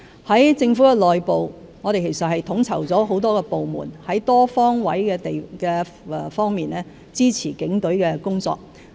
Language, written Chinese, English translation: Cantonese, 在政府內部，我們亦已統籌多個部門多方位支持警隊的工作。, Within the Government we have also coordinated a number of departments to support the work of the Police Force on all fronts